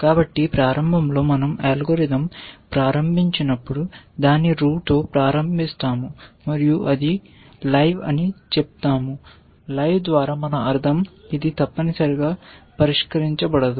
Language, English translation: Telugu, So, initially when we start the algorithm, we start it with the root and we say it is live by live we mean which is not solved essentially